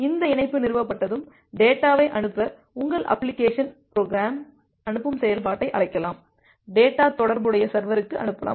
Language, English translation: Tamil, Then once this connection is established, then you can call the send function from your application program to send the data, send the data to the corresponding server